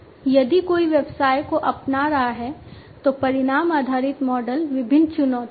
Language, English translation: Hindi, So, you know if somebody if a business is adopting, the outcome based model, there are different challenges